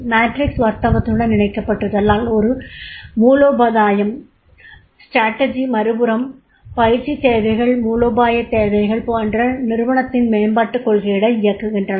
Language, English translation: Tamil, Further as the matrix is linked to the business strategy on the one hand and training needs on the other strategic needs drive the company's development policies